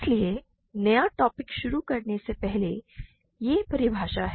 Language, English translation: Hindi, So, before I start the new material, this is the definition, right